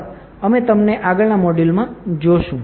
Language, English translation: Gujarati, Thank you and see you in the next module